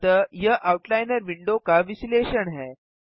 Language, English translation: Hindi, So this is the breakdown of the outliner window